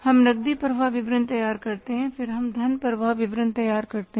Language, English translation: Hindi, We prepare the cash flow statement